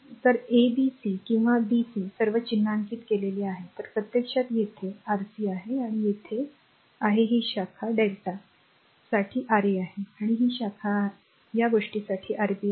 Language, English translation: Marathi, So, it is ab c or a b c all are marked; so, a to be actually here it is R c right and here it is your this branch is Ra for delta and this branch is Rb for this thing right